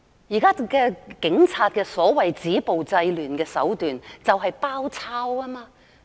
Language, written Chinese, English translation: Cantonese, 現時警察的所謂"止暴制亂"手段就是"包抄"。, The approach currently adopted by the Police to stop violence and curb disorder is precisely a siege tactic